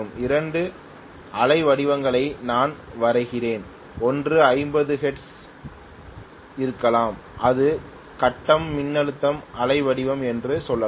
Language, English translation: Tamil, Let me draw two waveforms, one is probably at 50 hertz, this is let us say the grid voltage waveform